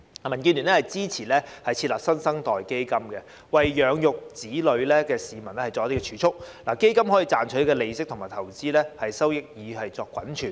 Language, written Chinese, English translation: Cantonese, 民建聯支持設立"新生代基金"，協助需要養育子女的市民作儲蓄，亦可賺取利息及投資收益作滾存。, DAB supports the setting up of the New Generation Fund to help parents keep savings earn interest and accrue investment benefits